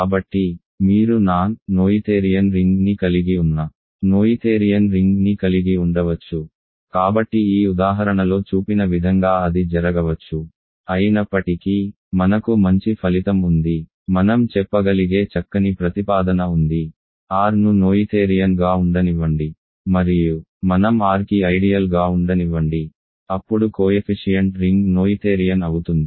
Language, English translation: Telugu, So, you can have a noetherian ring containing a non noetherian ring, so that can happen as this example shows; however, we do have a nice result nice proposition we can say, let R be noetherian and let I be an ideal of R, then the coefficient ring is noetherian